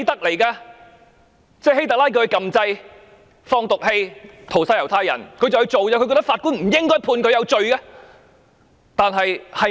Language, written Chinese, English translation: Cantonese, 換言之，希特拉叫他按掣放毒氣屠殺猶太人，他便照辦，他覺得法官不應該判他有罪。, In other words HITLER told him to press the button to slaughter the Jews with toxic gas and he did it as instructed